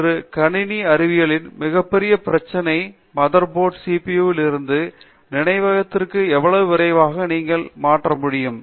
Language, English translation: Tamil, So, the biggest problem today in a computer mother board is how fast can you transfer from your CPU to your memory, right